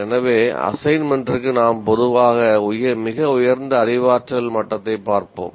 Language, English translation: Tamil, So let us say assignment we generally look at the highest cognitive level